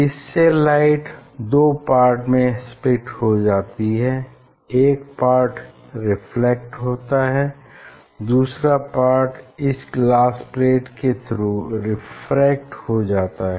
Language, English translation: Hindi, And it is split into two, one part is reflected, and another part is refracted through this glass plate